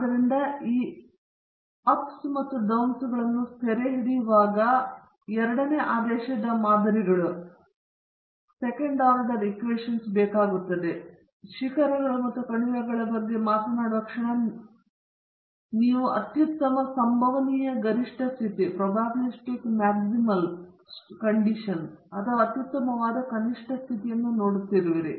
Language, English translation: Kannada, So, in order to capture these peaks and valleys, second order models are required and the moment you talk about peaks and valleys you are also looking at the best possible optimum condition or the best possible minimum condition